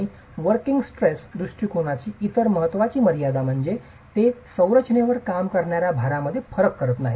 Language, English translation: Marathi, And the other important limitation of working stress approach is it does not differentiate between loads acting on the structure